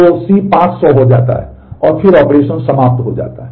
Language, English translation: Hindi, So, C becomes 500 and then the operation is finished